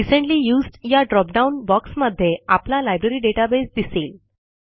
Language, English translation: Marathi, In the Recently Used drop down box, our Library database should be visible